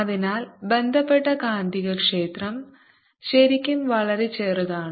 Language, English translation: Malayalam, so associated magnetic field is really very, very small